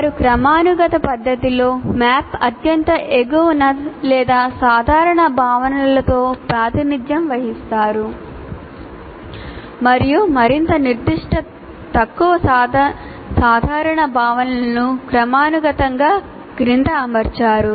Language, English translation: Telugu, They are represented in a hierarchical fashion with the most inclusive or most general concepts at the top of the map and more specific less general concepts arranged in, arranged hierarchically below